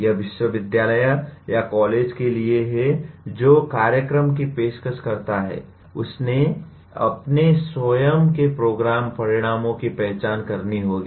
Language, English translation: Hindi, It is for the university or the college offering the program will have to identify its own program outcomes